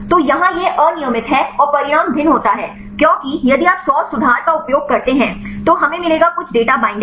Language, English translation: Hindi, So, here this is random and outcome varies because if you use 100 conformation we will get some data get the binding